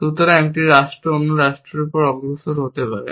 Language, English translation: Bengali, So, a state could progress over another state